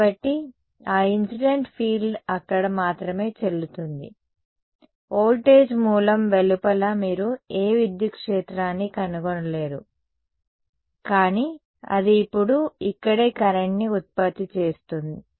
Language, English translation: Telugu, So, that incident field is valid only over there right, outside the voltage source you are not going to find any electric field, but this has now produced a current over here right